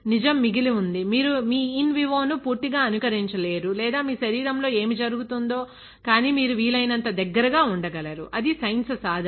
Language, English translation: Telugu, The truth remains, that you can never completely mimic your in vivo or what happens in your inside your body but you can get as close as possible, that is the pursuit of science